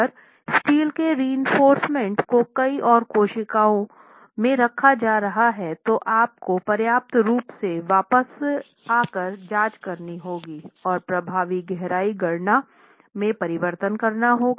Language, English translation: Hindi, Of course if the steel reinforcement is going to be placed in many more cells then you will have to adequately come back and check, come back and make alterations to the effective depth calculation